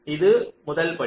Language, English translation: Tamil, ok, this is the first step